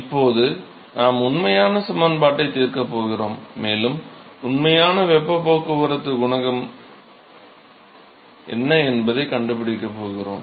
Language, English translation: Tamil, So, now, we are going to solve the actual equation and we are going to find out, what is the actual heat transport coefficient value right